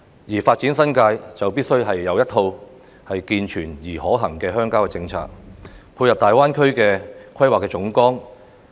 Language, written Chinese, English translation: Cantonese, 要發展新界，就必須有一套健全而可行的鄉郊政策，配合大灣區的規劃總綱。, The development of the New Territories requires a set of sound and viable rural policies in order to complement the Outline Development Plan for the Guangdong - Hong Kong - Macao Greater Bay Area